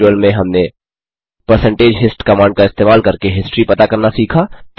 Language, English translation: Hindi, In this tutorial,we have learnt to, Retrieve the history using percentage hist command